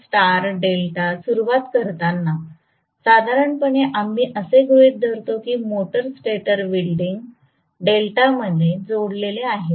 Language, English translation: Marathi, So, in star delta starting, normally we assume that the motor stator winding is connected in delta, so this is the motor winding okay